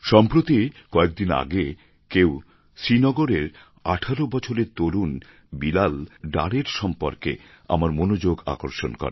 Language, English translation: Bengali, Just a few days ago some one drew my attention towards Bilal Dar, a young man of 18 years from Srinagar